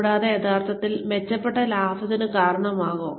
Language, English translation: Malayalam, And, will it really, result in enhanced profits